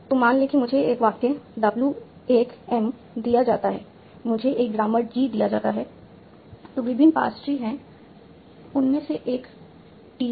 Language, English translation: Hindi, So suppose I am given a sentence W1M, I am given a grammar G and there are various pastries T is one of those